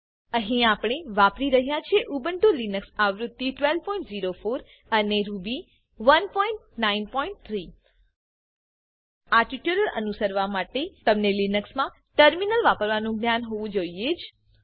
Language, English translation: Gujarati, Types of variables Here we are using Ubuntu Linux version 12.04 Ruby 1.9.3 To follow this tutorial you must have the knowledge of using Terminal in Linux